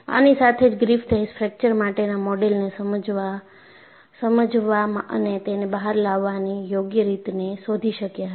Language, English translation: Gujarati, And, only with this Griffith was able to find out a suitable way of explaining and coming out with a model for fracture